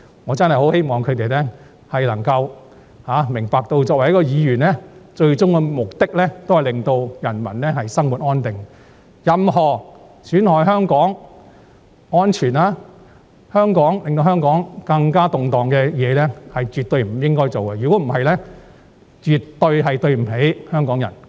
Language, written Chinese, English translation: Cantonese, 我真的很希望他們能夠明白到，作為議員的最終職責是令人民生活安定，絕不應做任何損害香港的安全，以及會令香港更動盪的事情，否則便絕對不起香港人。, I really hope they can understand that the ultimate duty of Members is to promote a stable life for the people . They should absolutely not do anything to harm the safety of Hong Kong and make Hong Kong even more unstable . Otherwise they will be doing an utmost disservice to Hong Kong people